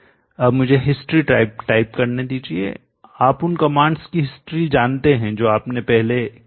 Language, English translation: Hindi, Now let me type history you know the history of commands that you have done previously you can now go to PV